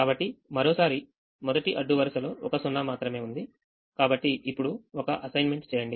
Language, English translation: Telugu, so the first row has two zeros, so we don't make an assignment